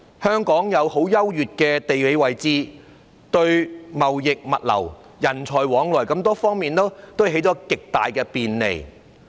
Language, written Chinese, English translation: Cantonese, 香港具有優越的地理位置，為貿易、物流、人才往來等提供了極大的便利。, Hong Kong enjoys an advantageous geographical location which greatly facilitates trade logistics the movement of people etc